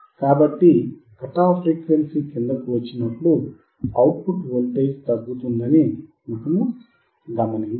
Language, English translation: Telugu, We observed that the output voltage decreases when we come below the cut off frequency